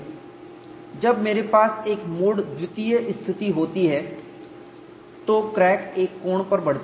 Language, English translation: Hindi, When I have a mode two situation, the crack grow certain angle